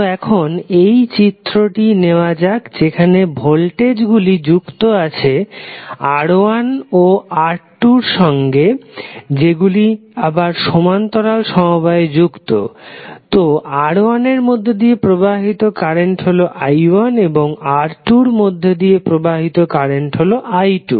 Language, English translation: Bengali, So let us take now this figure where voltage is connected to R1 and R2 both which are in parallel, so current flowing through R1 would be i1 and current flowing through R2 would be i2